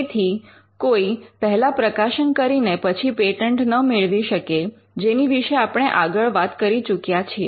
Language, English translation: Gujarati, So, you cannot publish first and then patent because, we are already covered this